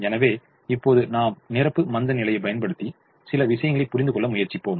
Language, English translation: Tamil, so now we will apply complimentary slackness and try to understand a few things